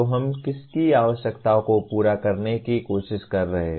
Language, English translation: Hindi, So whose requirements are we trying to meet